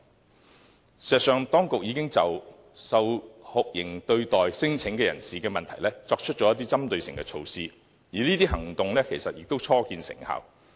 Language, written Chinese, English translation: Cantonese, 事實上，當局已經就受酷刑對待的聲請人士的問題作出一些針對性措施，而這些措施已初見成效。, In fact the authorities have launched a series of specific measures on the problem of non - refoulement claimants who were subject to torture treatment and the measures are beginning to achieve results